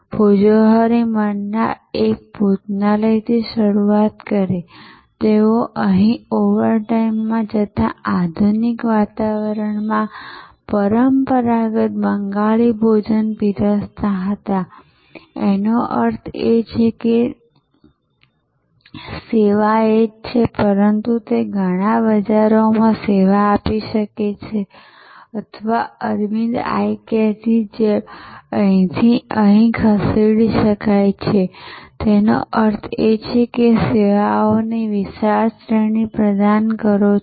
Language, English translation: Gujarati, Bhojohori Manna started with one restaurant, serving traditional Bengali restaurant in modern ambiance in one location overtime they move here; that means, the service remains the same, but they can serve many markets or like Aravind Eye Care the move can be from here to here, which means you provide a wide ranges of services